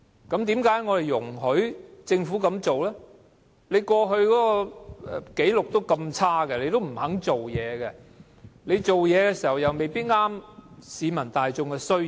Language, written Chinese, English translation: Cantonese, 根據政府過往紀錄，政府從不肯辦事，所做的工作又未必符合市民大眾的需要。, According to the past government records the Government has been reluctant to take on the task and what it has done may not meet the needs of the public